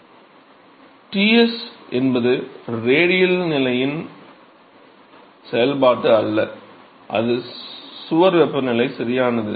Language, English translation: Tamil, So, some here so, Ts is not a function of the radial position, it is the wall temperature right